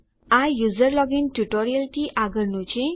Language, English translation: Gujarati, This is followed on from our user login tutorial